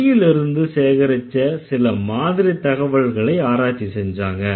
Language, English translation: Tamil, They did some analysis on the basis of the samples of language data that they have collected